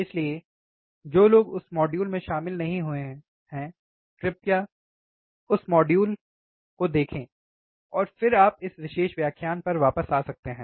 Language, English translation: Hindi, So, those who have not attended that module, please go and see that module, and then you could come back to this particular lecture